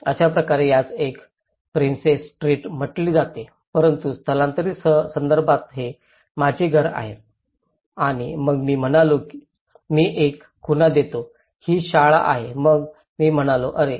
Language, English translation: Marathi, So in that way, this is called a princess street but in relocated context, this is my house and then I said I give a landmark this is the school then I said oh